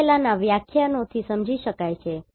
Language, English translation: Gujarati, That is already understood from earlier lectures